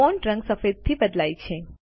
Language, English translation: Gujarati, The font color changes to white